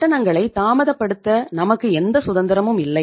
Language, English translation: Tamil, We donít have any liberty to delay the payments